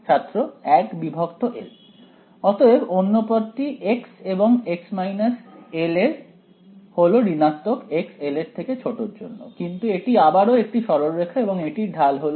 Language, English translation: Bengali, So, the other term x prime and x minus l also negative x is less than l, but it is straight line again and the slope of the straight line is